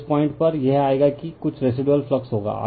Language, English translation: Hindi, So, here at this point, it will come some residual flux will be there